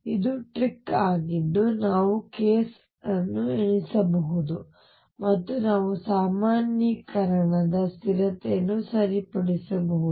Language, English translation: Kannada, This is a trick through which we count case we can enumerate k and we can also fix the normalization constant